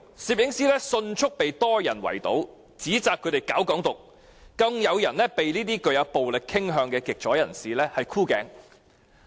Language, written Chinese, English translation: Cantonese, 攝影師迅速被多人圍堵，指摘他們搞"港獨"，更有人被這些具暴力傾向的極左人士"箍頸"。, They rebuked the photographers for advocating Hong Kong independence and some of these extreme leftists who are prone to violence have even put their arms round the neck of the photographers